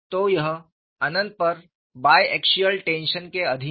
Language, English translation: Hindi, So, it is subjected to bi axial tension at infinity,